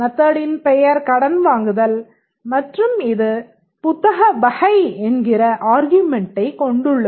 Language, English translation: Tamil, The name of the method will be borrow and it takes a book type as its argument